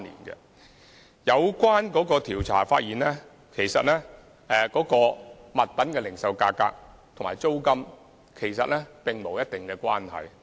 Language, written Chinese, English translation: Cantonese, 有關調查發現物品零售價格與租金並無必然關係。, The survey found that retail prices and rents were not necessarily related